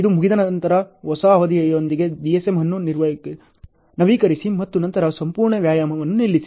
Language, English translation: Kannada, Once this is done update the DSM with the new duration and then stop the whole exercise ok